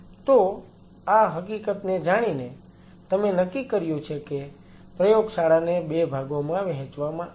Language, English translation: Gujarati, So, an knowing these facts So, you have decided that the lab is divided in 2 parts